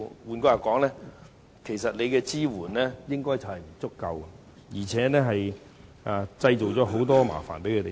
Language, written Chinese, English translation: Cantonese, 換句話說，其實當局的支援並不足夠，而且為營辦商製造了很多麻煩。, That means instead of providing adequate support for the operators the authorities have created troubles for them